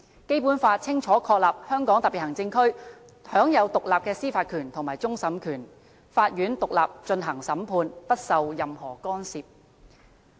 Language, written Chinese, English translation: Cantonese, 《基本法》清楚確立香港特別行區享有獨立的司法權和終審權，法院獨立進行審判，不受任何干預。, As enshrined in the Basic Law the Hong Kong SAR is vested with independent judicial power including that of final adjudication . Courts conduct trials independently and are immune from any external interference